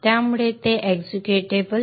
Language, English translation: Marathi, So that will be made executable